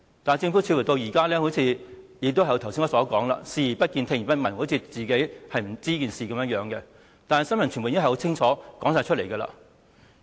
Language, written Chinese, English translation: Cantonese, 政府至今似乎仍然是像我剛才所說般，視而不見、聽而不聞，好像不知道有這些事情一樣，但新聞傳媒已經很清楚地報道了。, So far it seems that the Government is still turning a blind eye and a deaf ear to the problems as I mentioned earlier as if it knows nothing about the problems . Yet the press and the media have made loud and clear reports on these problems